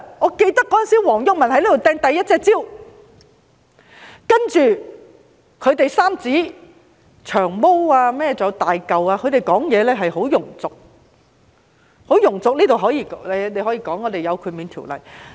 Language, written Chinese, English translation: Cantonese, 我記得當時黃毓民在這裏擲出第一隻香蕉，然後三子——還有"長毛"和"大嚿"，他們的發言十分庸俗，大家或會說這方面有豁免條例。, I recall that back then when WONG Yuk - man hurled the first banana here in this Chamber and the three men―including Long Hair and Hulk their speeches were really coarse . They may say that Members are entitled to immunities under the law in this respect